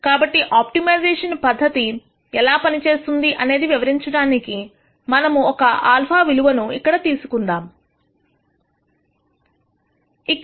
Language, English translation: Telugu, So, just to illustrate the idea of how an optimization approach works we are going to pick some alpha here, which we have picked as 0